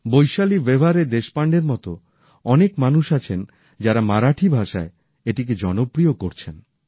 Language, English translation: Bengali, People like Vaishali Vyawahare Deshpande are making this form popular in Marathi